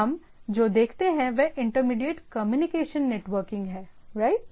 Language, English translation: Hindi, So, what we look at is the intermediate communication networking is in place, right